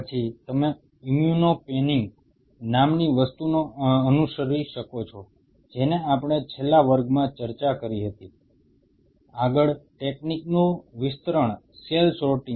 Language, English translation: Gujarati, Then you can follow something called an immuno panning what we have discussed in the last class, further a extension of the technique is cell sorting